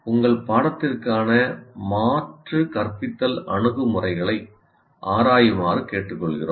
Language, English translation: Tamil, So we urge you to kind of explore alternative instructional approaches for your course